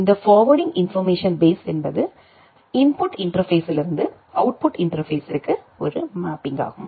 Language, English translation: Tamil, This forwarding information base is a mapping from the input interface to the output interface